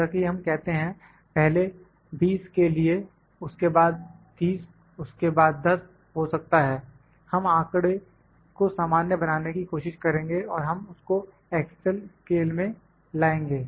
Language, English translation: Hindi, Like we says for first 20, then 30, then 10 may be we will try to normalise data and we will bring it to the single scale